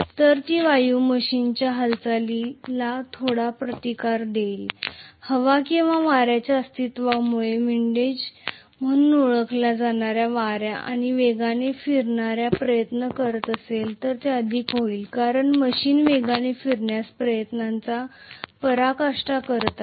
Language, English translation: Marathi, So that air is going to offer some resistance to the movement of the machine, that particular loss encountered because of the presence of air or wind, surrounding wind that is known as windage and this will be more if the machine is trying to rotate faster because it has to displace the wind more, so it is like fan